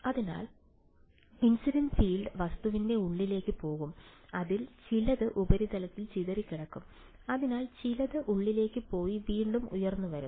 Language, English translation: Malayalam, So, the incident field will go inside the object, some of it will gets scattered by the surface, some of it will go inside and will reemerge